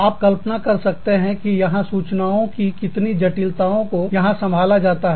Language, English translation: Hindi, You can imagine, the complexity of information, that is being handled here